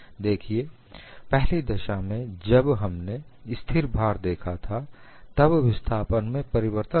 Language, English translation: Hindi, See, in the first case where we saw constant load, there was a change in the displacement